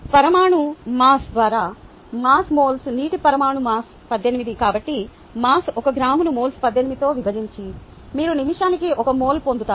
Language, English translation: Telugu, therefore, mass, one gram divided by moles, eighteen ah divided by ah, molar mass, which is eighteen, you would get one mole per minute